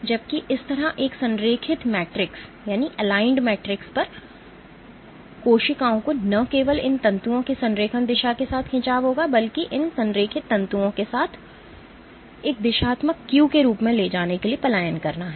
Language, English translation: Hindi, While on an align matrix like that the cells will not only stretch itself along the alignment direction of these fibers, but also tend to migrate along these aligned fibers taking them as a directional cue